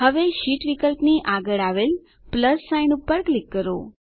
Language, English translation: Gujarati, Now, click on the plus sign next to the Sheet option